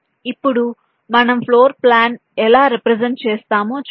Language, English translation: Telugu, now let see how we can represent a floor plan